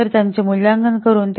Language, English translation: Marathi, So we can evaluate it